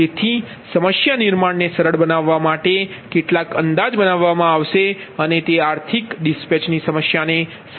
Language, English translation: Gujarati, hence, some approximation will be made to simplify the problem formulation, and it gives the physical insight into the problem of economic dispatch, right